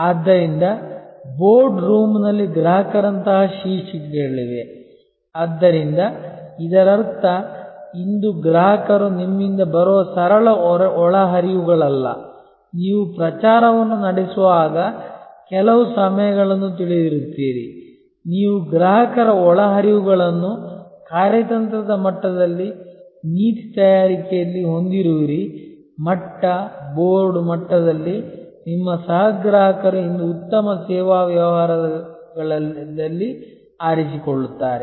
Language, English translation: Kannada, So, there are titles like customers in the boardroom, so which means today customers are not just simple inputs coming from on you know certain times when you are having a campaign, you are having the customer inputs at the strategic level, at the policy making level, at the board level your co opting the customer in a good service business today